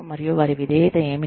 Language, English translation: Telugu, And, what their loyalty is